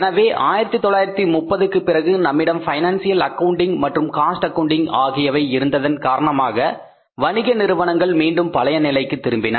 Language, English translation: Tamil, So after 30s when we had the financial accounting we had the cost accounting businesses again started coming back on the wheels